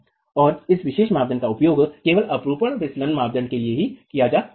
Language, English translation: Hindi, And this particular criterion can be used only for the shear sliding criterion